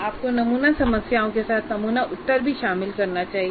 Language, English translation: Hindi, Actually, along with the sample problem, you should also include this sample answer